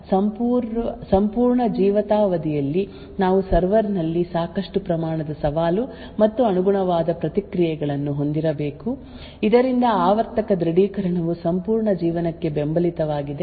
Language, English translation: Kannada, So therefore, for the entire lifetime of this particular edge device we should have sufficient amount of challenge and corresponding responses stored in the server so that the periodic authentication is supported for the entire life